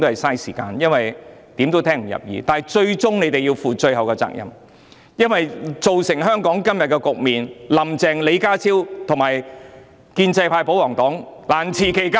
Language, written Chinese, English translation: Cantonese, 可是，他們最終要負上責任，因為造成香港今日的局面，"林鄭"、李家超、建制派及保皇黨皆難辭其咎。, And yet they should be held responsible at the end of the day . Carrie LAM John LEE the pro - establishment camp and the royalist party are culpable for reducing Hong Kong to the present state